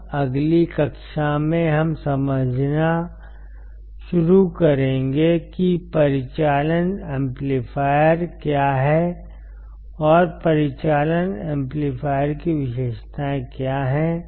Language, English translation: Hindi, Now, in the next class we will start understanding what the operational amplifiers are, and what are the characteristics of the operational amplifier